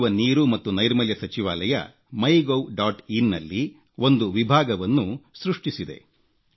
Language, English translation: Kannada, The Ministry of Drinking Water and Sanitation has created a section on MyGov